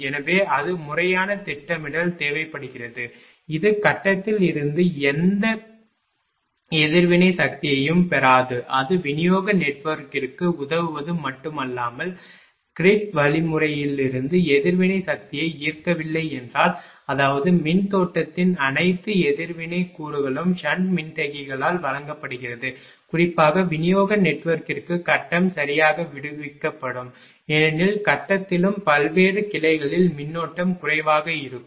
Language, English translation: Tamil, So, that is that is also proper planning is required such that it will not draw any reactive power from the grid and ah not only it is helping the distribution network if it draws ah I mean if it is not drawing reactive power from the grid means; that means, that is all the reactive component of the current is supplied by the sand capacitor particularly for the distribution network it means that grid also will be relieved right, because in the grid also that ah current current will be less in various branches